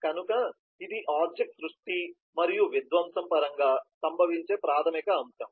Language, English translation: Telugu, so that is the basic object creation and destruction that will occur